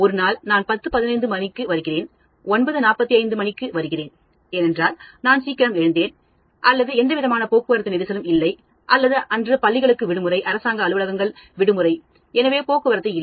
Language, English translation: Tamil, I am coming, one day I came at 9:45 probably because I caught the previous bus, I got up early or there was absolutely no traffic or it was a holiday for schools and government offices, so there was no traffic